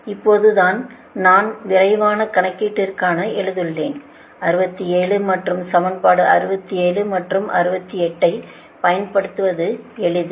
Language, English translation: Tamil, thats why i have written for quick calculation it is easier to use sixty seven and equation sixty seven and sixty eight